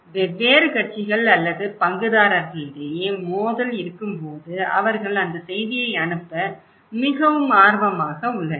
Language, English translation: Tamil, And when there is a conflict among different parties or stakeholders they are also very interested to transmit that news